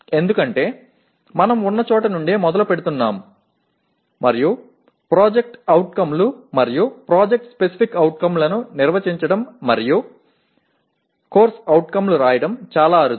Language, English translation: Telugu, Because we are starting from where we are and it is very rare that we define POs and PSOs and write COs